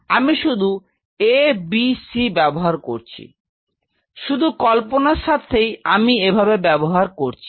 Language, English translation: Bengali, So, I am just putting a b c just for imaginary sake I am putting it like that